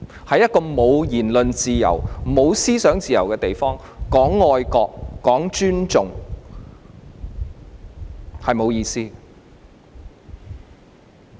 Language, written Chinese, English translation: Cantonese, 在一個沒有言論自由、沒有思想自由的地方，談愛國、談尊重，是沒有意思的。, It is meaningless to talk about patriotism and respect in a place where there is no freedom of speech and freedom of thought